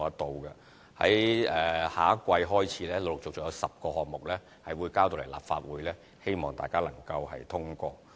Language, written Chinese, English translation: Cantonese, 在下一季開始，有10個項目會陸續呈交立法會，希望大家能通過。, In the coming quarter of this year funding applications for 10 projects will be submitted to the Legislative Council and we hope that they can be passed